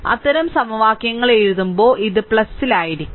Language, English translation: Malayalam, When I am writing such equations your this is plus right